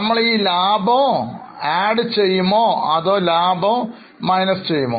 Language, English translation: Malayalam, Will we add this profit or deduct the profit